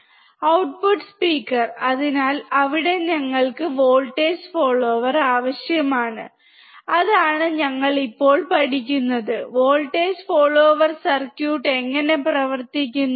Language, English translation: Malayalam, The output is at the speaker, so, there we require voltage follower, that is what we are learning right now: How voltage follower circuit works